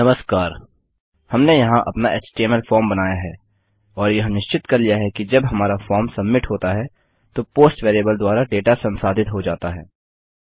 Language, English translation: Hindi, Okay so we have created our HTML form here and determined that the data has been processed through the POST variable when our form has been submitted